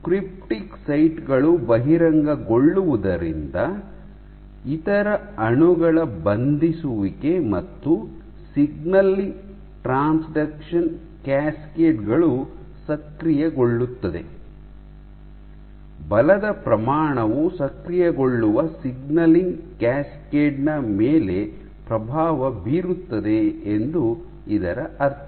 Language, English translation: Kannada, And since exposure of cryptic sites opens up this binding of other molecules and activation of signaling transduction signal a signaling cascades, this would mean that the magnitude of force can influence the signaling cascade which gets activated ok